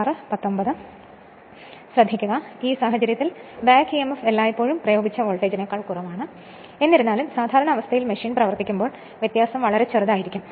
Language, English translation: Malayalam, So, in this case you therefore, back emf is always less than the applied voltage, so although the difference is very small when the machine is running under normal conditions